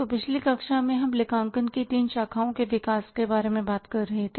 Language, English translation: Hindi, So, in the previous class we were talking about the development of the three branches of accounting